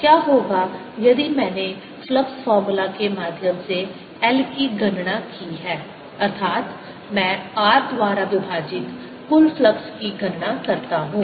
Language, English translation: Hindi, what if i calculated the, calculate l through the flux formula, that is, i calculated total flux divided by i